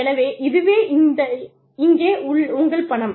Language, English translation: Tamil, So, this is, here is your money